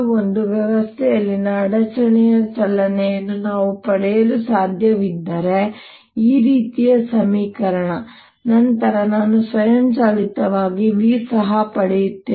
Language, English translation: Kannada, if i can get for the motion of a disturbance in a system an equation like that, then i automatically get v also latest